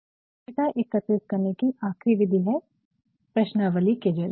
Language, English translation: Hindi, So, the lastmethod of data collection is through questionnaires